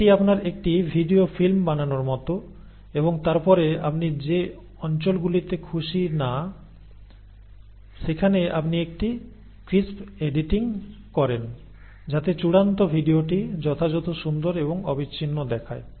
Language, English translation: Bengali, It is almost like you make a video film and then you kind of cut it wherever the regions you are not happy you do a crisp editing so that the final video looks absolutely crisp and continuous